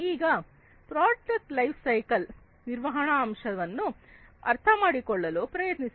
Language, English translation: Kannada, Now, let us try to understand the product lifecycle management aspect of it